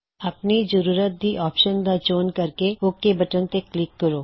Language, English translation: Punjabi, Choose from these options as per your requirement and then click on the OK button